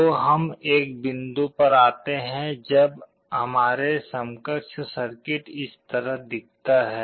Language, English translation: Hindi, So, we come to a point when our equivalent circuit looks like this